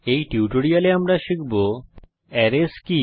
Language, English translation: Bengali, In this tutorial we will learn, What is an array